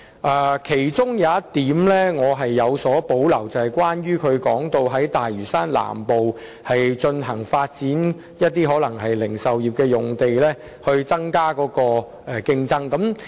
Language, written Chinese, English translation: Cantonese, 對於其中一點，我是有所保留的，關乎他提到在大嶼山南部發展零售業的用地，以增加競爭。, I have reservations about one of the points he raised in relation to the development of land for the retail industry in South Lantau so as to increase competition